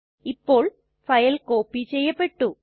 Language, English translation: Malayalam, Now the file has been copied